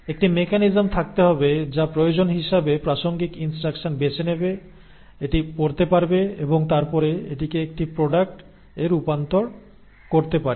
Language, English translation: Bengali, And then there has to be a mechanism which needs to, as and when the need is, to pick up the relevant instructions, read it and then convert it into a product